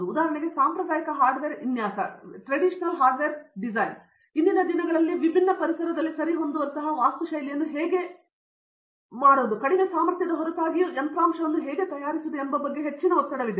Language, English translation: Kannada, For example, traditional hardware design, where there is a lot of stress on today on how to make hardware that is despite very less power, how to make architecture that can suit different environments today